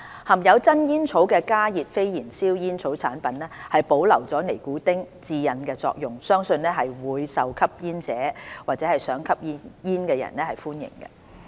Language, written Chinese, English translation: Cantonese, 含有真煙草的加熱非燃燒煙草產品保留了尼古丁的致癮作用，相信會更受吸煙或想吸煙人士歡迎。, As HNB products containing real tobacco retain the addictive effect of nicotine it is believed that such products will be more popular among smokers and persons who want to smoke